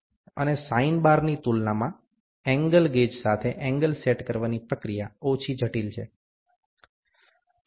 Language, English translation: Gujarati, And procedure for setting angles with the angle gauge is less complex compared to sine bar